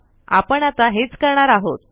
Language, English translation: Marathi, So this is what we will do